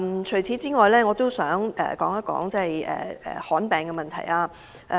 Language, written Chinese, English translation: Cantonese, 除此之外，我也想談談罕見疾病的問題。, In addition I also want to speak about rare diseases